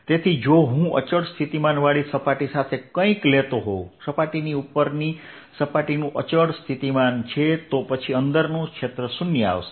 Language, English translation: Gujarati, so if i take something with constant potential surface close surface, constant potential over the surface then field inside will zero